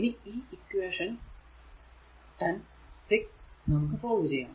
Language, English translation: Malayalam, Now solving equation 6 and 10 we get